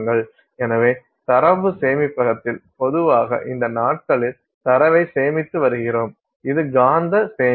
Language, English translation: Tamil, So, in data storage as you know that you know you are storing data in typically these days it is magnetic storage